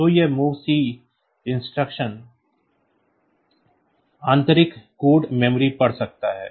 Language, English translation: Hindi, So, this mov c the instruction it can read internal code memory